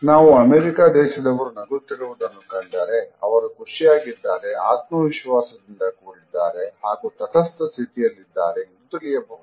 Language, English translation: Kannada, When you see an American smiling, they might be feeling happy, confident or neutral